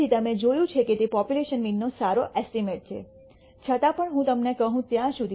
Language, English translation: Gujarati, So, you see that it is a good estimate of the population mean, even though you did not know what that value was until I told you